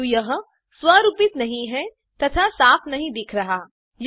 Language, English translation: Hindi, But it is not formatted and does not look clean